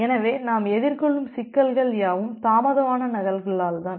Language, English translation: Tamil, So, if you look into the problem that we are facing it is because of the delayed duplicates